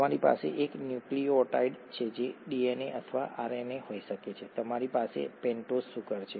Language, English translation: Gujarati, So you have a nucleotide which could be a DNA or a RNA, you have a pentose sugar